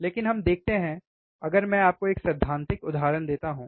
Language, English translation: Hindi, But let us see, if I give you an example, if I give you an a example theoretical example